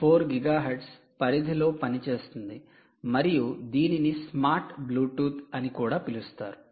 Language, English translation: Telugu, frequency of two point four gigahertz works in the range of two point four gigahertz and is also called smart bluetooth